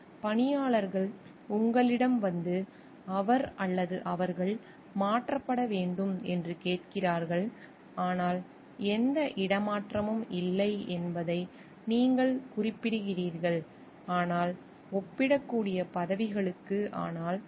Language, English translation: Tamil, The workers come to you asking either he or they should be transferred you indicate that no transfers, but to the comparable positions are available, but the workers insist